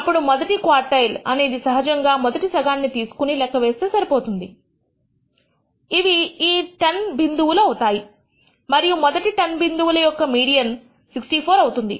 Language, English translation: Telugu, Then the quartile one can actually be computed by just taking the rst half which is the 10 points and computing the median of the first 10 points which turns out to be 64